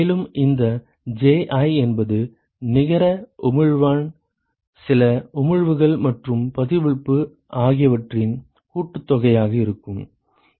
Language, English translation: Tamil, And this Ji would essentially be sum of the net emission some of the emission from the surface plus the reflection right